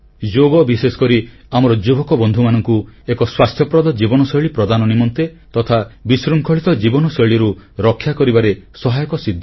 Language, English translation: Odia, Yoga will be helpful for especially our young friends, in maintaining a healthy lifestyle and protecting them from lifestyle disorders